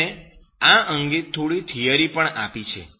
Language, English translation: Gujarati, He has given some theory on that